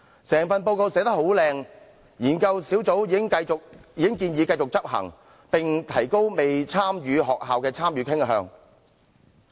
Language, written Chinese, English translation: Cantonese, 整份報告寫得美輪美奐之餘，研究小組也已經建議繼續執行該計劃，並且會提高未參與學校的參與慾。, While the entire report was nicely written the research team also recommended continuation of the scheme and raising the intention of the non - participating schools to participate in the scheme